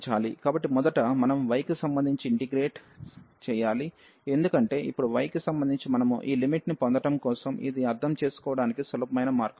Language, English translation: Telugu, So, first we have to integrate with respect to y, because now with respect to y we have so for getting this limit this is the easiest way to understand